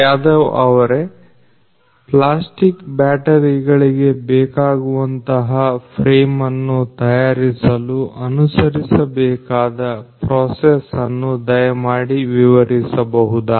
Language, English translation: Kannada, Yadav could you please explain the process that is followed over here in order to prepare this frame that is made for the batteries, the plastic batteries